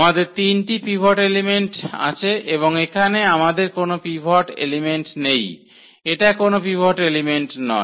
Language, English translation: Bengali, So, we have the three pivot elements and here we do not have this pivot element this is not the pivot element